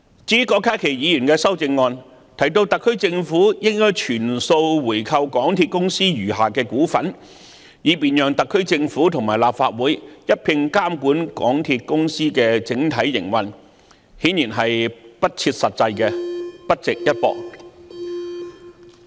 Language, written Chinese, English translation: Cantonese, 至於郭家麒議員的修正案提到特區政府應全數回購港鐵公司餘下的股份，以便特區政府和立法會一併監管港鐵公司的整體營運，這顯然是不切實際，不值一駁。, As for the proposal put forward by Dr KWOK Ka - ki in his amendment to buy back all the remaining shares of MTRCL so that the SAR Government and the Legislative Council can jointly monitor its overall operation this is obviously unrealistic and not worth refuting